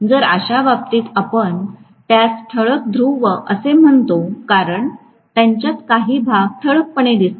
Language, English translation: Marathi, So, in which case, we call that as salient pole because they are having specifically some portions highlighted